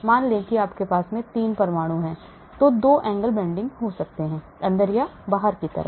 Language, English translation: Hindi, suppose you have 3 atoms , then the 2 bonds can bend, inwards or outwards